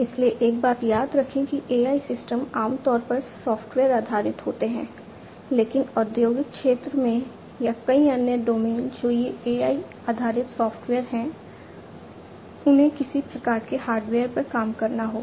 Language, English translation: Hindi, So, remember one thing that AI systems are typically software based, but in industrial sector or, many other domains they these software, these AI based software will have to work on some kind of hardware